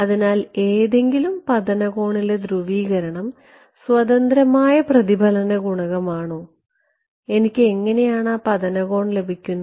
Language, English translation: Malayalam, So, is polarization independent reflection coefficient at any incident angle and how did I get that any incident angle